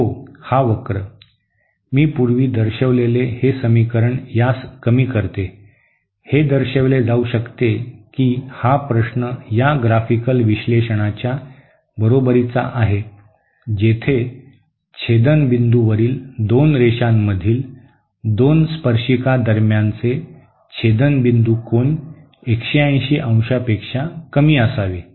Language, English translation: Marathi, That equation which I showed previously reduces to this, it can be shown that that the question is equivalent to this graphical analysis where the intersection point angle between the two tangents between of two lines at the point of intersection should be lesser than 180¡